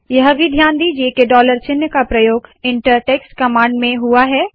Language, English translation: Hindi, Note also the use of the dollar sign within the inter text command